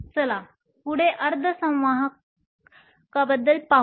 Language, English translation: Marathi, Let us next look at semiconductors